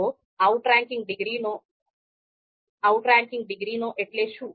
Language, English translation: Gujarati, So what do we mean by outranking degree